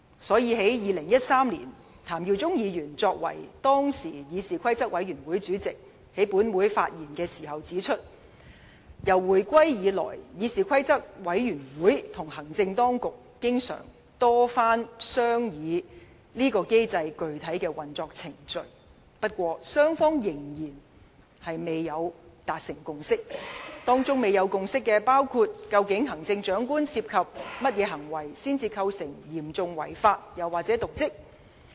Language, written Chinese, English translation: Cantonese, 所以，在2013年，前立法會議員譚耀宗作為當時議事規則委員會主席在本會發言時指出，自回歸以來，議事規則委員會與行政當局曾多番商議彈劾機制的具體運作程序，但雙方仍未達成共識，當中未有共識的問題包括：究竟行政長官涉及甚麼行為，才構成"嚴重違法"及"瀆職"？, That is why when former Member Mr TAM Yiu - chung spoke in Council as Chairman of the Committee on Rules of Procedure CRoP in 2013 he pointed out that since the reunification CRoP and the Administration had conducted many discussions on the specific procedures of the modus operandi of the impeachment mechanism but no consensus had been reached . There were concerns over issues such as what conducts of the Chief Executive constituted serious breach of law and dereliction of duty